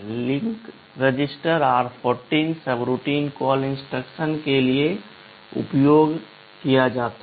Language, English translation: Hindi, Link register is r14 used for subroutine call instruction